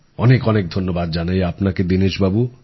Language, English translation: Bengali, Many thanks Dinesh ji